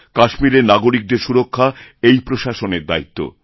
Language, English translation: Bengali, Providing security to people in Kashmir is the responsibility of the administration